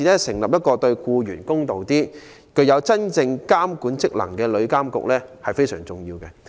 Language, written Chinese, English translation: Cantonese, 成立一個對僱員較公道、具有真正監管職能的旅遊業監管局非常重要。, The establishment of the Travel Industry Authority TIA to give fairer treatment to employees and with genuine regulatory function is thus very important